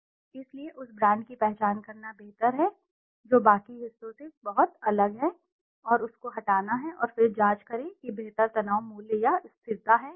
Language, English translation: Hindi, So it is better to identify the brand which is very different from the rest and to delete that and then check whether there is a better stress value or stability